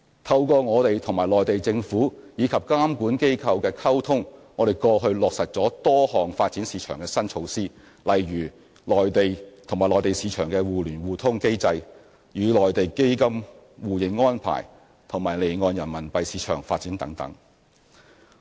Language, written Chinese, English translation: Cantonese, 透過我們與內地政府及監管機構的溝通，我們過去落實了多項發展市場的新措施，例如與內地市場的互聯互通機制、與內地基金互認安排及離岸人民幣市場的發展等。, After communications with the relevant authorities and regulatory bodies in the Mainland we managed to implement a number of new measures on market development in the past such as the mutual access between the Mainland and Hong Kong stock markets Mainland - Hong Kong mutual recognition of funds and the development of the offshore RMB market